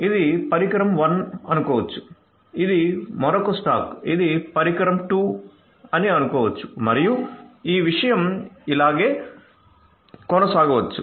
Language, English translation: Telugu, So, this is let us say device 1 this is another stack let us say this is device 2 and this thing can continue like this all right